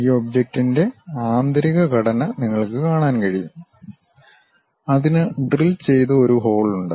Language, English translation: Malayalam, You can see the internal structure of this object, it is having a bore, drilled bore, having that portion